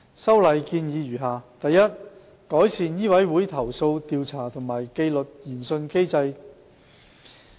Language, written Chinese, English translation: Cantonese, 修例建議如下：第一，改善醫委會投訴調查和紀律研訊機制。, The proposed legislative amendments are as follows First to improve the complaint investigation and disciplinary inquiry mechanism of MCHK